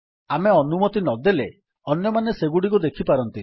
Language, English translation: Odia, Unless we permit, others cannot see them